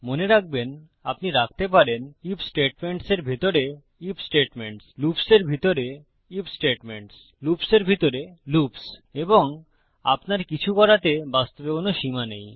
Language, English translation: Bengali, Remember you can put IF statements inside IF statements IF statements inside loops loops inside loops and theres really no limit to what you do